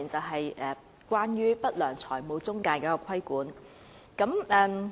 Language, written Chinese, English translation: Cantonese, 第一，是不良財務中介的規管。, The first issue pertains to the regulation of unscrupulous financial intermediaries